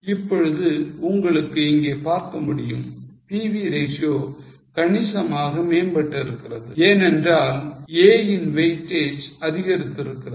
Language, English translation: Tamil, Now you can see here PV ratio has substantially improved because the weightage of A has gone up